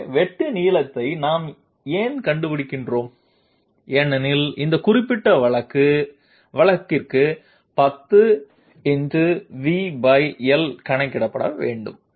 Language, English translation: Tamil, So why are we finding out the length of cut because VbyL has to be calculated for this particular case